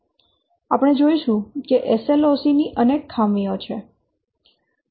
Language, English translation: Gujarati, We will see there are several drawbacks of SLOC